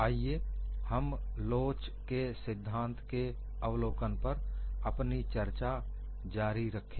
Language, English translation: Hindi, Let us continue our discussion on review of theory of elasticity